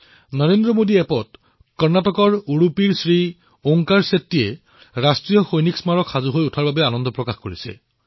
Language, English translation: Assamese, On the Narendra Modi App, Shri Onkar Shetty ji of Udupi, Karnataka has expressed his happiness on the completion of the National War Memorial